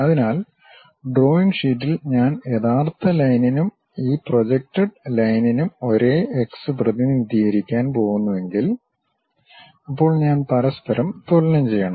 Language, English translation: Malayalam, So, on drawing sheet, if I am going to represent the same x for that real line and also this projected line; then I have to equate each other